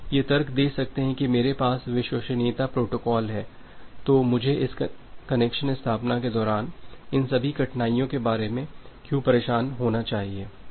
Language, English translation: Hindi, You can you can argue that well I have the reliability protocol then why should I bother about all this difficulties during this connection establishment